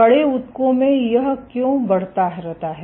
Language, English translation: Hindi, Why in stiff tissues this keeps on increasing